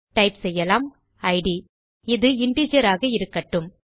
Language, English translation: Tamil, We type id and we will make this an integer